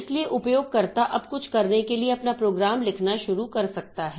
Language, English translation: Hindi, So, user can now start writing our own program for doing something